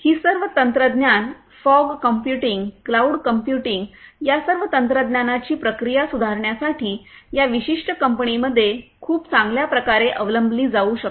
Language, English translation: Marathi, So, all of these technologies the fog computing, the cloud computing all of these technologies could be very well adopted in this particular company to improve their processes